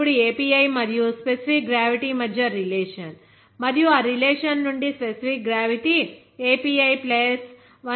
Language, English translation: Telugu, Now, we know that the relationship between API and specific gravity, and from that relationship, we can write that specific gravity will be equal to 141